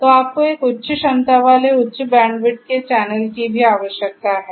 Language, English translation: Hindi, So, you need the channel also to be of a high capacity high bandwidth